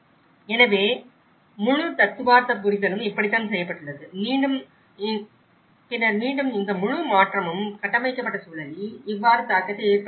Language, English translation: Tamil, So, this is how the whole theoretical understanding has been done and then again how this whole transformation has an impact on the built environment